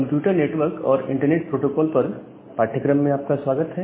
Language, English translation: Hindi, Welcome back to the course on Computer Network and Internet Protocols